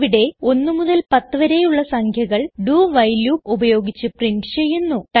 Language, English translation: Malayalam, We are going to print the numbers from 1 to 10 using a do while loop